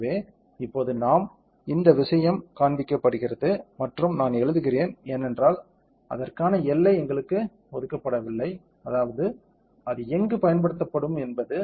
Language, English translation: Tamil, So, now, we; so, this thing is showing and I am write, because we are not assign the boundary for it; I mean, what where it will be applied